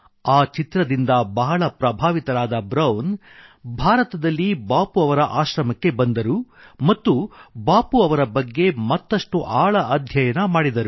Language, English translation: Kannada, Brown got so inspired by watching this movie on Bapu that he visted Bapu's ashram in India, understood him and learnt about him in depth